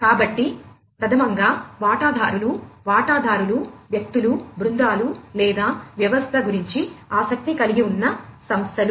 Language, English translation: Telugu, So, number one is the stakeholder stakeholders are individuals teams or organizations having interest concerning the system